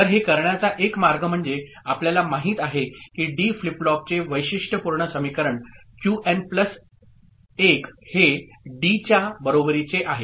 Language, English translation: Marathi, So, one way of doing it is that we know the characteristic equation of D flip flop is Qn plus 1 is equal to D